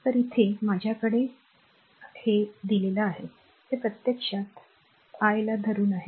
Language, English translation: Marathi, So, here I have so, this is actually just hold on I